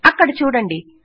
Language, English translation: Telugu, There you go